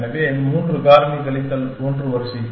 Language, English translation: Tamil, So, 3 factorial minus 1 order